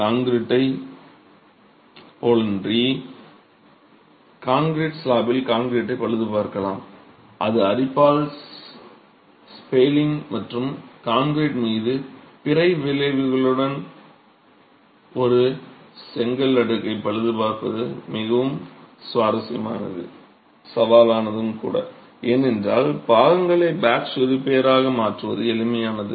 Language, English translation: Tamil, Unlike concrete that spalls and you can repair concrete in a reinforced concrete slab that is affected by corrosion with spalling and other effects on the concrete, repair of a brick slab is very challenging because replacement of parts as a patch repair is not something that is simple